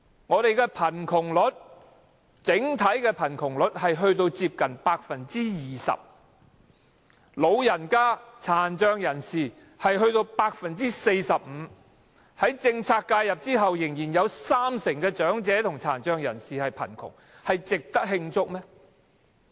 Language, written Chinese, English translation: Cantonese, 我們的整體貧窮率接近 20%， 老人家和殘障人士的貧窮率達 45%， 在政策介入後仍然有三成長者和殘障人士貧窮，值得慶祝嗎？, Our overall poverty rate amounts to almost 20 % while poverty rates of the elderly and the disabled stand at 45 % or about 30 % after policy intervention . Is this a good cause for celebration?